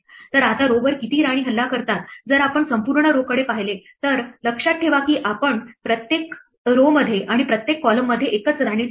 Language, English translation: Marathi, So, how many queens attack row i now if we look at the row as a whole remember we place only one queen in each row and in each column